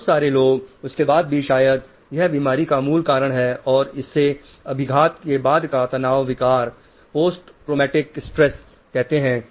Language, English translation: Hindi, Lot of people even after that, probably that is the basis of a illness called post traumatic stress disorder